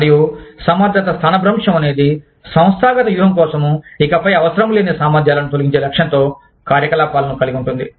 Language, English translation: Telugu, And, competence displacement consists of activities, aimed at eliminating competencies, that are no longer necessary, for the organizational strategy